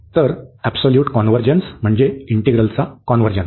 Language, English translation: Marathi, So, absolute convergence implies the convergence of the integral